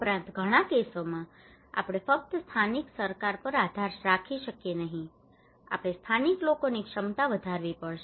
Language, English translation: Gujarati, Also in many cases we cannot rely simply on the local government we have to enhance the capacity of the local people